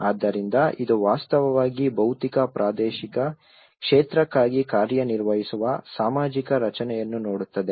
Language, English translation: Kannada, So, which actually looks at the social construct that operates for a physical spatial field